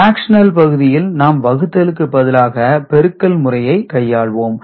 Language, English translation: Tamil, And if we do consider the fractional part earlier, it was division, here it is multiplication right